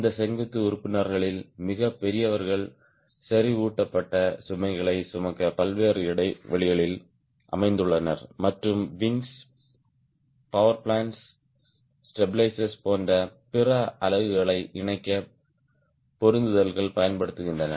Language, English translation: Tamil, the heaviest of these vertical members are located at various intervals to carry concentrated loads and at points where fittings are used to attach other units such as wings, power plants, stabilizers